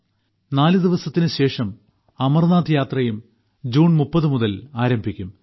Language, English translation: Malayalam, Just 4 days later,the Amarnath Yatra is also going to start from the 30th of June